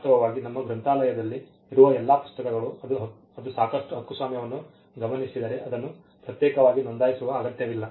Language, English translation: Kannada, In fact, all the books that are there in our library, it just the copyright notices sufficient there is no need to separately register that